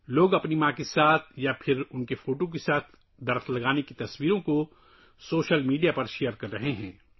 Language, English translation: Urdu, On social media, People are sharing pictures of planting trees with their mothers or with their photographs